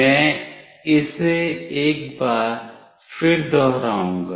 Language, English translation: Hindi, I will just repeat this once more